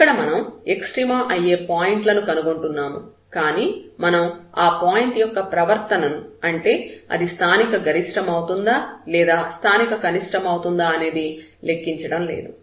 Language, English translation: Telugu, This will be the candidates for the extrema; we will not compute the behavior of this point whether it is a point of local minimum local maximum